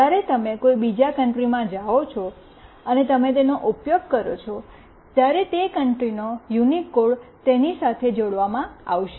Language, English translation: Gujarati, When you move to some other country and you use it, then that unique country code will be attached to it